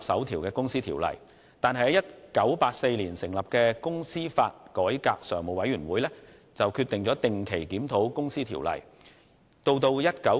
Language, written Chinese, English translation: Cantonese, 1984年成立的公司法改革常務委員會，決定定期對《公司條例》進行檢討。, The Standing Committee on Company Law Reform established in 1984 decided to conduct a review on the Companies Ordinance on a regular basis